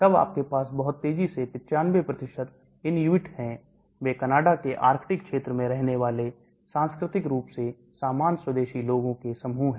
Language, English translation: Hindi, Then you have fast very fast 95% Inuit, they are the group of culturally similar indigenous people inhabiting the Arctic region of Canada